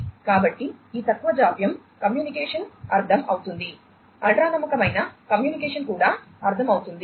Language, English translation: Telugu, So, this low latency communication is understood, ultra reliable communication is also understood